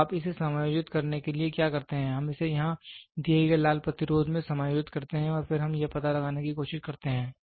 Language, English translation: Hindi, So, what are you to adjust so, we adjust it in the red resistance given here and then we try to find out